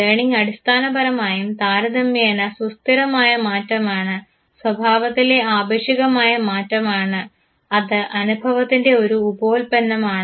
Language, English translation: Malayalam, Learning basically is relatively stable change relatively permanent change in the behavior which is basically a byproduct of experience, fine